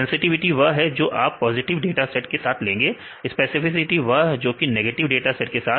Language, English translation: Hindi, Sensitivity is the one which you can deal with the positive dataset, specificity is with a negative dataset